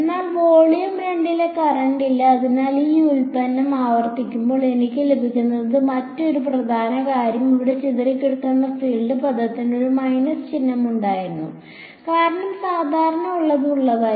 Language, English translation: Malayalam, But there is no current in volume 2 so when I repeat this derivation this is exactly the field that I will get; another important think to note this scattered field term over here had a minus sign, because the normal was inward